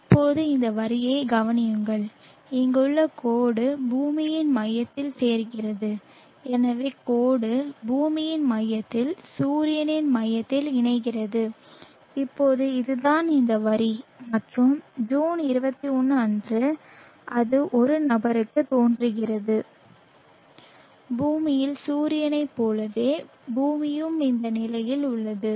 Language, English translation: Tamil, Now absorb this line the line here going along and join to the center of the earth so the line join the center of the earth to the center of the sun, now that is this line and on 21st June it appears to a person on the earth it appears the sun is relatively in this position like this with respect to the earth